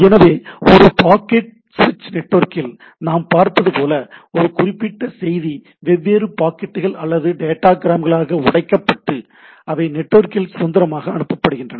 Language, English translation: Tamil, So that and as we have seen in a packet switched network where a particular message is broken down into a different packets or datagrams and they are sent independently over the network